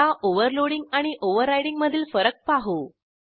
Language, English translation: Marathi, Let us see the difference of overloading and overriding